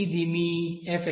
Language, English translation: Telugu, Now This is your f